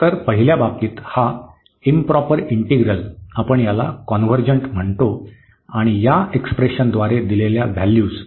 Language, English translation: Marathi, So, in the first case this improper integral we call it is convergent and the values given by this expression here